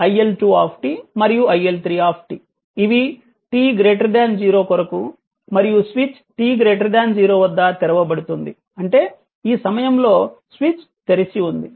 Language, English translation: Telugu, It is the iL1 t iL2 t and i3t for t greater than 0 and switch is opened at t greater than 0; that means, at this time switch has opened right